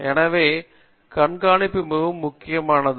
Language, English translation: Tamil, So the observation also is very, very important